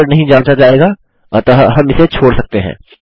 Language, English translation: Hindi, The password wont be checked so we could skip that